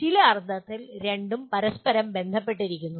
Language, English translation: Malayalam, In some sense both are related to each other